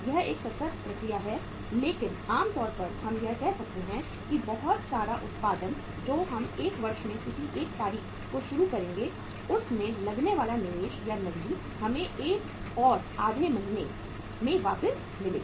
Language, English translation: Hindi, It is a continuous process but normally we can say that one lot of production which we will start on any date in a year that will take that the cash invested in that that will take to again come back to you in 4 and a half months